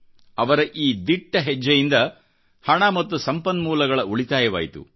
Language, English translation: Kannada, This effort of his resulted in saving of money as well as of resources